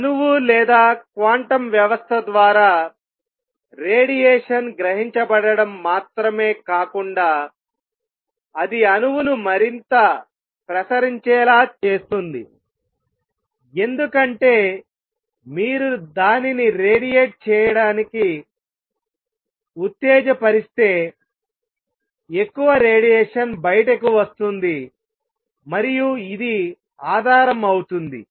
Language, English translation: Telugu, So, not only variation let us absorbed by an atom or a quantum system it can also make an atom radiate more, because if you stimulates it to radiate more radiation would come out and this forms the basis